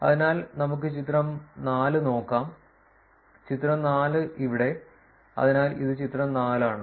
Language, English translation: Malayalam, So, now let us look at figure 4; figure 4 here, so this is figure 4